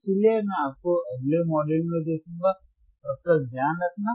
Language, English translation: Hindi, So, I will see you in the next module, till then take care